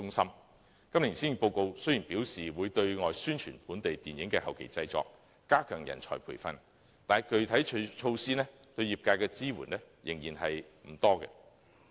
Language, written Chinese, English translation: Cantonese, 雖然今年的施政報告表示會對外宣傳本地電影的後期製作，加強人才培訓，但具體措施對業界的支援仍然不多。, Although it is stated in this years Policy Address that the Government will carry out external publicity for the postproduction of local films and step up training of talents there are not many specific measures of support for the industry